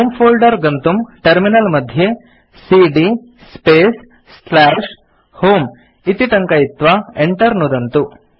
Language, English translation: Sanskrit, Goto home folder on the terminal by typing cd space / home and press Enter